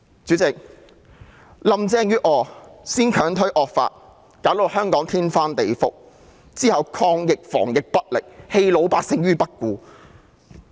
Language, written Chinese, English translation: Cantonese, 主席，林鄭月娥先強推惡法，弄得香港天翻地覆，之後抗疫防疫不力，棄老百姓於不顧。, President Carrie LAM has pushed through the evil law turning Hong Kong into a mess in the first place followed by her incompetence in fighting and containing the epidemic leaving the general public in the lurch